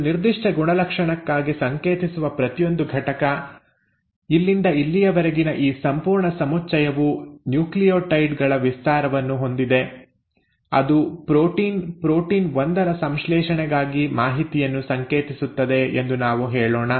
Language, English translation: Kannada, Each unit which codes for a particular trait, let us say this entire set from here to here has a stretch of nucleotides which are coding information, let us say, for synthesis of a protein, protein 1